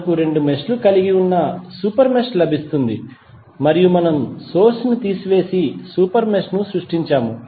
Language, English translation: Telugu, We get a super mesh which contains two meshes and we have remove the current source and created the super mesh